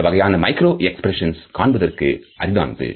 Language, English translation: Tamil, This type of micro expression is not easily observable